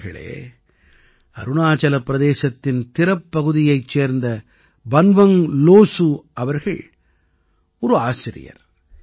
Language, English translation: Tamil, Friends, Banwang Losu ji of Tirap in Arunachal Pradesh is a teacher